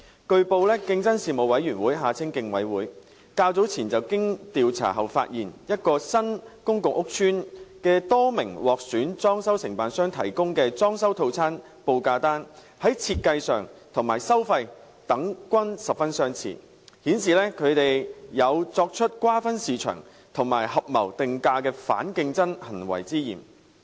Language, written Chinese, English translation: Cantonese, 據報，競爭事務委員會較早前經調查後發現，一個新公共屋邨的多名獲選裝修承辦商提供的裝修套餐報價單在設計和收費等均十分相似，顯示他們有作出瓜分市場及合謀定價的反競爭行為之嫌。, It was reported that earlier on the Competition Commission had found after investigation that a number of selected DCs of a new public housing estate were allegedly engaging in anti - competitive practices of market sharing and price fixing as indicated by the fact that the printed quotations for decoration packages provided by them looked very similar in terms of layout and prices